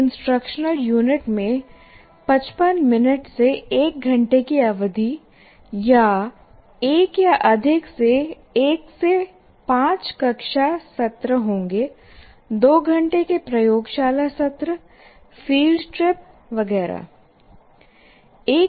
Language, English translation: Hindi, So, as a result, an instructional unit will have 1 to 5 classroom sessions of 15 minutes to 1 hour duration or 1 or more 2 hour laboratory sessions, field trips, etc